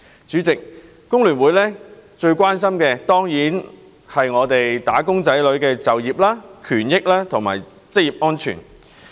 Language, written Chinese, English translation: Cantonese, 主席，香港工會聯合會最關心的當然是"打工仔女"的就業、權益和職業安全。, President the employment rights and interests and occupational safety of wage earners are certainly issues about which the Hong Kong Federation of Trade Unions FTU cares most eagerly